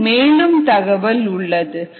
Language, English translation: Tamil, so that some details